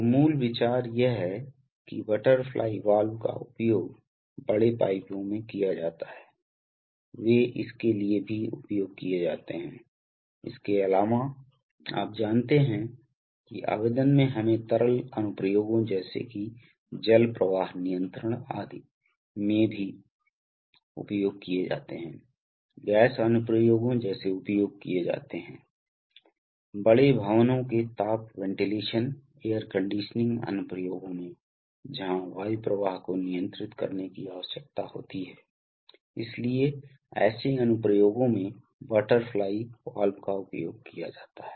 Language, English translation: Hindi, So, basic idea is that this is, butterfly valves are used in large pipes, they are, they are also used for the, apart from, you know applications in let us say liquid applications like water flow control etc, they are also used in gas applications, like they are used In heating ventilation air conditioning applications of large buildings, where the air flow needs to be controlled, so in such applications butterfly valves are also used